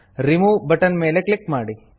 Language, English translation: Kannada, Click on the Remove button